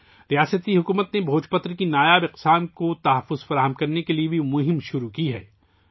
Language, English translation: Urdu, The state government has also started a campaign to preserve the rare species of Bhojpatra